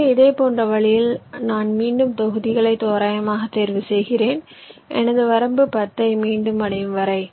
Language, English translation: Tamil, so in a similar way, i again pick the blocks randomly, i place them here until my limit of ten is again reached